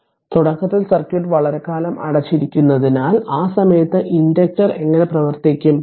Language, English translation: Malayalam, So, as as the circuit initially was closed for a long time and and at that time your how the inductor will behave right